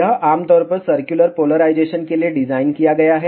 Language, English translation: Hindi, This is generally designed for circular polarization